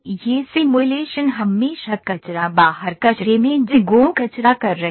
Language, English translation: Hindi, These simulations are always GIGO garbage in garbage out